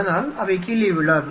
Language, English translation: Tamil, So, that they do not fall down